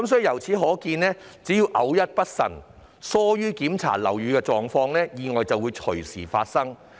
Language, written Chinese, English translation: Cantonese, 由此可見，只要偶一不慎，疏於檢查樓宇情況，意外便會隨時發生。, If one is not careful enough and has neglected to check the conditions of the building accidents can happen any time